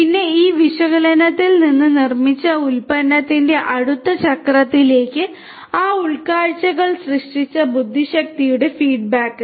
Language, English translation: Malayalam, And, then feedback those intelligence those insights generated from this analytic analysis to the next cycle of the product that is being manufactured